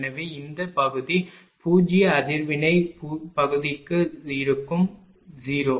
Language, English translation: Tamil, So, this part will be zero reactive part will be 0